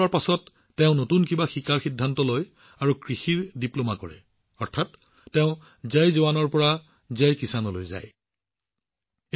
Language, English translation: Assamese, After retirement, he decided to learn something new and did a Diploma in Agriculture, that is, he moved towards Jai Jawan, Jai Kisan